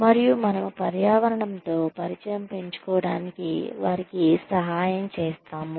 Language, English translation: Telugu, And, we help them, become familiar with the environment, they find themselves in